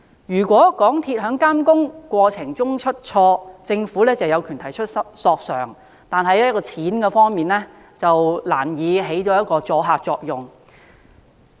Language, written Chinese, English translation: Cantonese, 如果港鐵公司在監工過程中出錯，政府有權提出索償，但賠償上限難以收阻嚇作用。, Despite the fact that the Government has the right to pursue a claim against MTRCLs faulty monitoring works the cap on compensation renders it difficult to achieve a deterrent effect